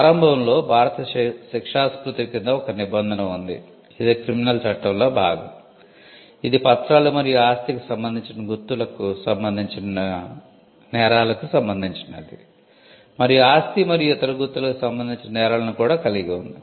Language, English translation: Telugu, Initially there was a provision under the Indian penal court, which is a part of the criminal law; which pertained to offenses relating to documents and property marks, and it also had offenses relating to property and other marks